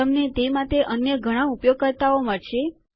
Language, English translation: Gujarati, You will find many other users for it